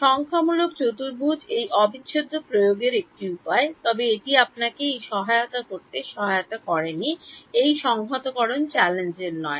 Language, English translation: Bengali, Numerical quadrature is a way of implementing this integral, but that is not gone help you this integration is not challenging